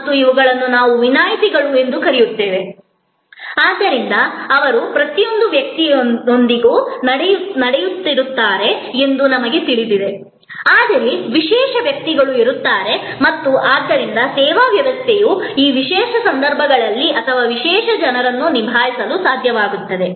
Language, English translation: Kannada, And these are what we call exceptions, so we know that, they are happening with every person, but there will be special persons and therefore, services system should able to handle this special circumstances or special people